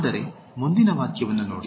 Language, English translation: Kannada, Whereas, look at the next sentence